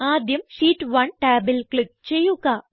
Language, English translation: Malayalam, First, click on the Sheet 1 tab